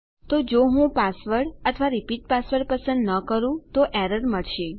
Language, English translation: Gujarati, So if I didnt chose a repeat or a password we get our error